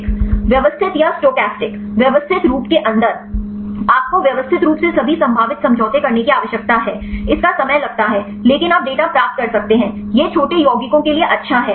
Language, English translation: Hindi, Systematic or stochastic; in systematic you need to systematically carry out all the possible conformations; its time consuming, but you can get the data; it is good for the small compounds